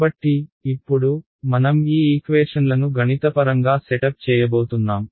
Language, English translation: Telugu, So, now, we will go about setting up these equations mathematically